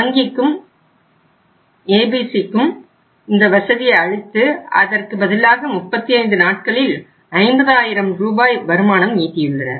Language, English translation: Tamil, For the bank, bank provided this facility to ABC but the earned in lieu of that they earned 50,000 Rs revenue just in a period of 35 days